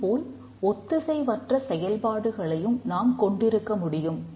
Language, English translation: Tamil, On the other hand we can also have asynchronous operation